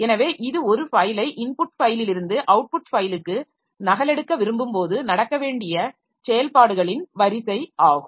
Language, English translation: Tamil, So, this is the sequence of operations that should take place when we want to copy a file to the output, copy from input file to output file